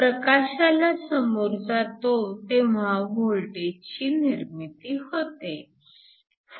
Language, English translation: Marathi, So, when expose to light leads to a generation of voltage